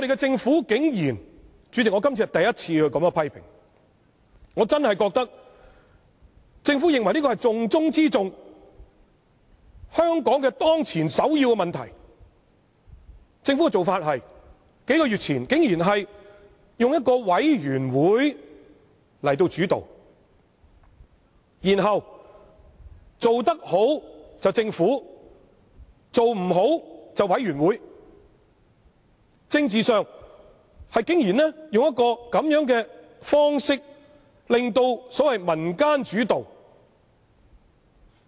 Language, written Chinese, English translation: Cantonese, 主席，我今次是第一次作出這樣的批評，政府認為這是重中之重、香港當前的首要問題，但政府的做法竟然是在數月前成立委員會來作為主導，然後做得好便是政府的功勞，做得不好便是委員會的責任，政治上竟然以這種方式來製造所謂民間主導的局面。, The Government considers this most important and a problem that Hong Kong needs to tackle as the first priority . Yet the Governments approach is to set up a committee several months ago to take a leading role so that should the committee do a good job of it the credit goes to the Government and should it perform poorly the committee will have to take the blame . The Government has gone so far as to adopt such an approach politically to create the façade that this matter is community - led